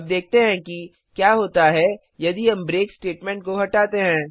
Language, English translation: Hindi, Now let us see what happens if we remove the break statement